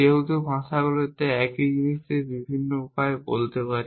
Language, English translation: Bengali, Because languages is so first of all we can so say the same thing in many different ways